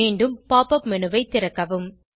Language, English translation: Tamil, Open the Pop up menu again